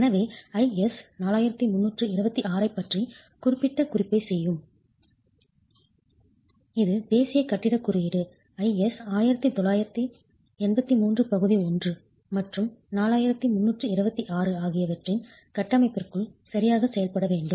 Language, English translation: Tamil, So we'll make specific reference to IS 4326 and it's within this framework of National Building Code, IS 1893 Part 1, and 4326 that we will have to operate